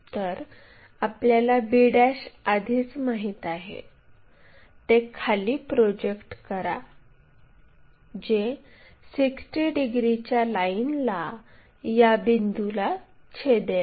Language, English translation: Marathi, So, already we know p' project that all the way down may which cuts this 60 degrees line at this point